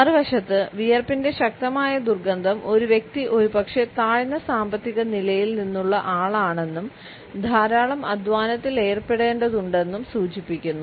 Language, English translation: Malayalam, On the other hand, there is strong odor of sweat can indicate a person who is perhaps from a lower financial status and who has to indulge in a lot of manual labor